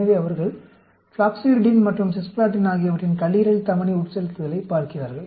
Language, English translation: Tamil, So, they are looking at hepatic arterial infusion of floxuridine and cisplatin